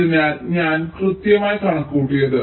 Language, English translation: Malayalam, so i am directly calculated